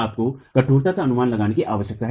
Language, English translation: Hindi, You need an estimate of the stiffnesses